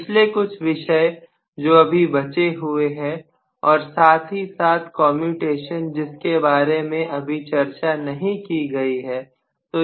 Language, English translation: Hindi, The last couple of topics, which we are left over with and of course commutation I have still not taken up